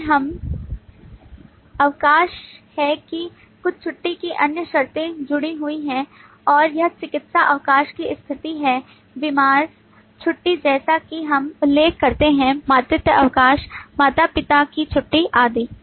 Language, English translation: Hindi, or there needs to be further use cases to be used And we find that some of the leave have other conditions attached and that is the situation of medical leave, the sick leave, as we mention there, the maternity leave, parental leave and so on